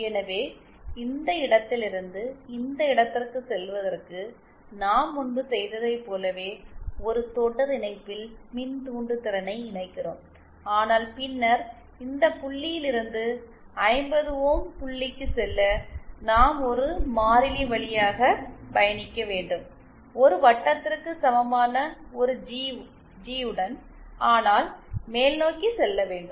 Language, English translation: Tamil, So, for going from this point to this point, we connect a series inductance as we did previously but then for going from Zin this point to the 50 ohm point, we have to travel along a constant, along a G equal to one circle but then upwards